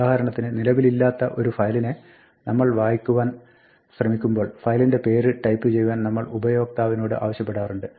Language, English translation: Malayalam, If for instance we are trying to read a file and the file does not exist perhaps we had asked the user to type a file name